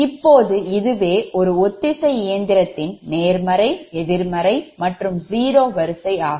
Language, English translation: Tamil, so now see, this is for the synchronous machine, the positive, negative and zero sequence